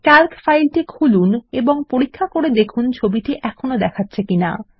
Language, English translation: Bengali, Open and check if the image is still visible in the Calc file